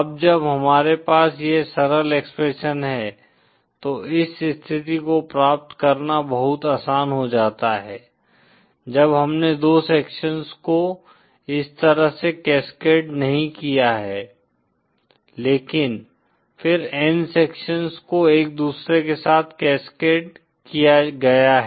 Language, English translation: Hindi, Now that we have this simple expression, this makes it much easier to derive the condition when we have not two sections cascaded like this but then n sections cascaded with each other